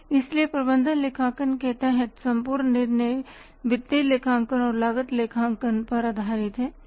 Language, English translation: Hindi, So, entire decision making under management accounting is based upon financial accounting plus cost accounting